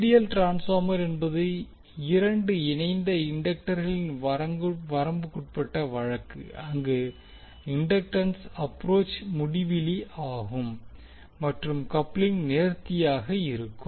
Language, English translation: Tamil, That ideal transformer is the limiting case of two coupled inductors where the inductance is approach infinity and the coupling is perfect